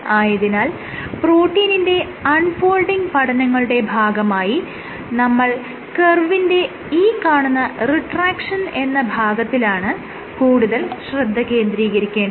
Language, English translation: Malayalam, So, for protein unfolding studies we are actually interested in this portion of the curve; the retraction portion of the curve